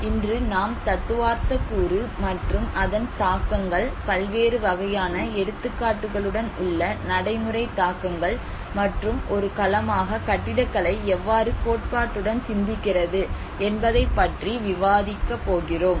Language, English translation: Tamil, Today, we are going to talk about architecture at risk, so today we are going to discuss about the theoretical component along with the implications, the practical implications with various variety of examples and how architecture as a domain it contemplates with the theory